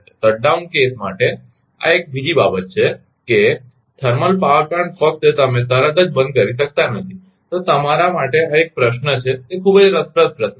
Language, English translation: Gujarati, This is one thing another thing for the shut down case also that thermal power plant just you cannot shut down immediately right, then this is a question to you that it is a very interesting question